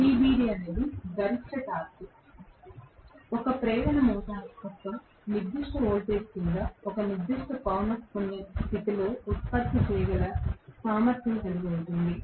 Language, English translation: Telugu, TBD is the maximum torque an induction motor is capable of generating under a particular voltage, under a particular frequency condition